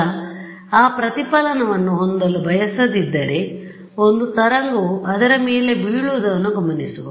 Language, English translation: Kannada, Now, if I wanted to not have that reflection one wave would be to observe whatever falls on it